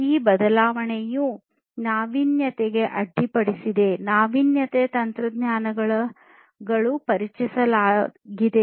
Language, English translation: Kannada, This change has been in innovation disruption; disruptive technologies have been introduced